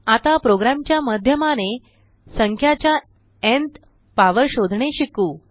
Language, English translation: Marathi, Lets now learn to find nth power of a number through a program